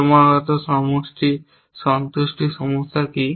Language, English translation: Bengali, What is the constant satisfaction problem